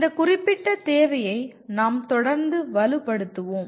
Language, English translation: Tamil, We will continue to reinforce this particular requirement